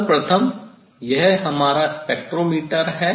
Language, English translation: Hindi, first this is the let us this is the of this our spectrometer